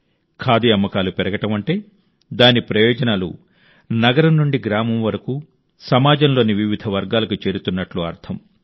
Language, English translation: Telugu, The rise in the sale of Khadi means its benefit reaches myriad sections across cities and villages